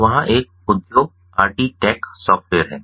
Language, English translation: Hindi, so there was an industry, the rt tech software